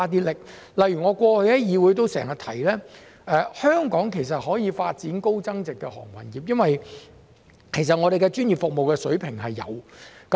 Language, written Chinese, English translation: Cantonese, 例如我過去在議會內經常指出，香港可以發展高增值航運業，因為我們的服務水平專業。, For example I have pointed out quite often in the legislature that Hong Kong can develop a high value - added maritime industry as our services are of professional standards